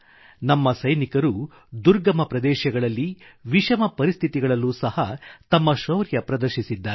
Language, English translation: Kannada, Our soldiers have displayed great valour in difficult areas and adverse conditions